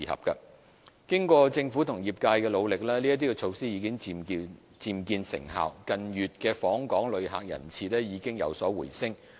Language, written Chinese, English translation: Cantonese, 經過政府和業界的努力，這些措施已漸見成效，近月訪港旅客人次已有所回升。, Through the efforts of the Government and the industry these measures have begun to bear fruits and visitor arrivals have rebounded in recent months